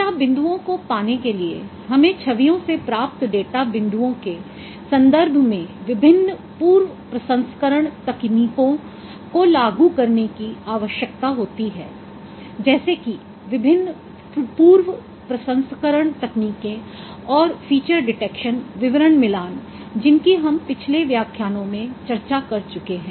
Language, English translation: Hindi, For obtaining data points we need to apply various image processing techniques with respect to data points from generating generated from an image from images like there are various pre processing techniques and feature detection description matching that we have already discussed in previous lectures